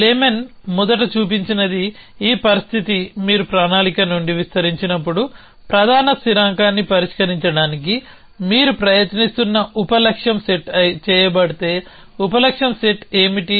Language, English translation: Telugu, So, what Blamen first showed was this condition, if the sub goal set that you are trying to solve the main constant when you extend from planning